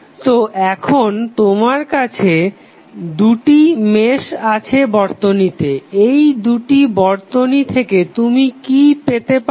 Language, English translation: Bengali, So, now you have two meshes in the circuit what we get from these two meshes